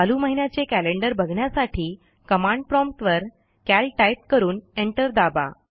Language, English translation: Marathi, To see the current months calendar, type at the prompt cal and press enter